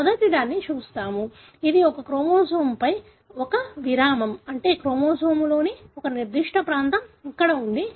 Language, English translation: Telugu, Let us look into the first one; that is one break on one chromosome, meaning a last, a particular region of the chromosome, something like here